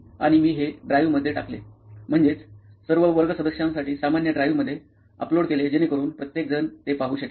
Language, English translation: Marathi, And I upload it in the drive, common drive for all the class members so that everybody could see it